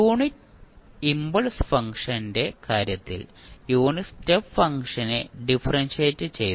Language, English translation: Malayalam, Now, if you integrate the unit step function so in case of unit impulse function we differentiated the unit step function